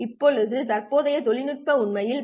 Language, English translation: Tamil, Now the current technology is actually at 100 gbps